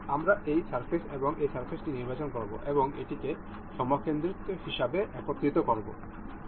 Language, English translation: Bengali, We will select this surface and this surface, and will mate it up as concentric